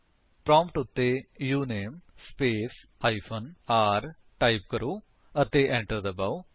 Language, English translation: Punjabi, Type at the prompt: uname space hyphen r and press Enter